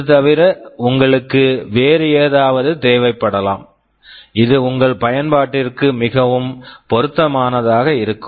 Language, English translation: Tamil, You may require something else, which will be best suited for your application